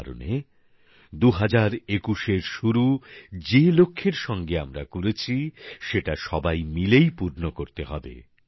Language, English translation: Bengali, Therefore, the goals with which we started in 2021, we all have to fulfill them together